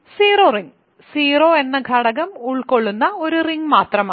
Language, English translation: Malayalam, So, the zero ring is just the ring consisting of just the element 0